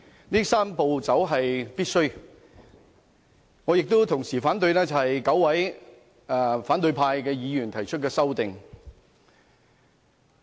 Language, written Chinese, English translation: Cantonese, 同時，我亦反對9位反對派議員提出的修正案。, At the same time I reject all the amendments proposed by nine opposition Members